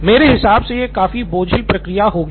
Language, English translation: Hindi, And I think that would be a pretty cumbersome process